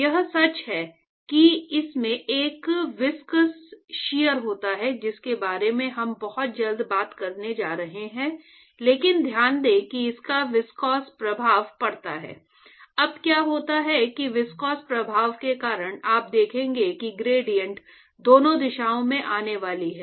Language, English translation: Hindi, That is true it has a viscous shear we going to talk about shear stress very soon, but note that it has viscous effects, now what happens is that because of viscous effect you will see that the gradient is going to come in both directions